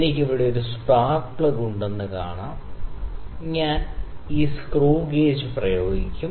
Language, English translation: Malayalam, So, we can see I have a spark plug here on which I will apply this screw gauge